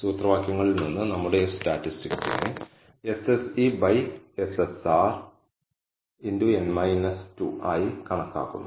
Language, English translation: Malayalam, So, from the formulae we know our F statistic is computed as SSR by SSE into n minus 2